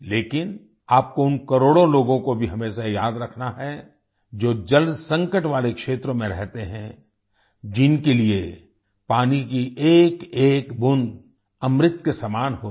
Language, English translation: Hindi, But, you also have to always remember the crores of people who live in waterstressed areas, for whom every drop of water is like elixir